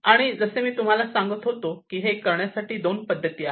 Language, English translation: Marathi, And as I was telling you that there are two ways of doing this thing